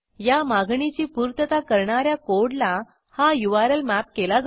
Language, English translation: Marathi, It maps the URL to the code that has to handle the request